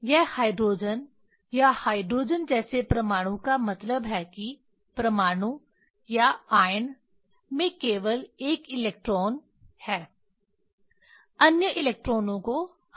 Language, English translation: Hindi, this is the hydrogen or hydrogen like atom means in that atom or ion only 1 electron are there other electrons are removed